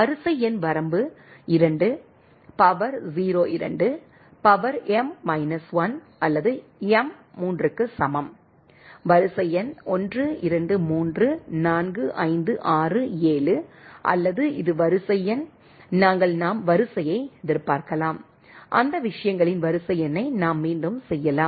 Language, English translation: Tamil, The sequence number range is 2, the power 0 2, the power m minus 1 right or m equal to 3, sequence number is 1, 2, 3, 4, 5, 6, 7 right or this is the sequence number, we are having we can expect the sequence, we can repeat the sequence number of that those things right